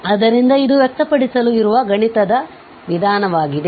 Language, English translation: Kannada, So, this was more mathematical way of expressing it